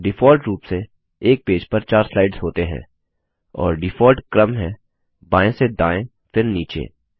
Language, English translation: Hindi, By default,there are 4 slides per page and the default order is left to right,then down